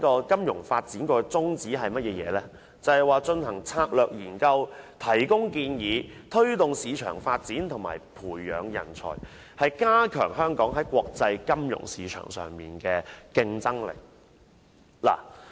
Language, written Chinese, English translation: Cantonese, 金發局的宗旨，是進行策略研究，向政府提供建議，推動市場發展和培養人才，以加強香港在國際金融市場上的競爭力。, The aims of FSDC are to conduct strategic studies provide advice to the Government foster market development and nurture talent with a view to enhancing Hong Kongs competitiveness in the international financial market